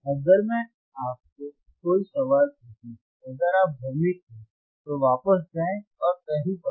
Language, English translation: Hindi, that iIf I ask you any question, if you wareere confused, you to go back and read somewhere all right;